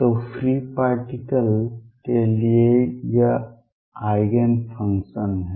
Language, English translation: Hindi, So, for free particles this is the Eigen functions